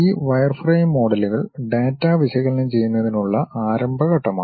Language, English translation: Malayalam, These wireframe models are the beginning step to analyze the data